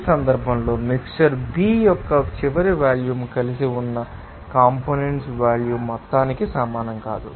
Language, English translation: Telugu, In this case, the final volume of mixture B does not equal to the sum of the volume of the components that are mixed together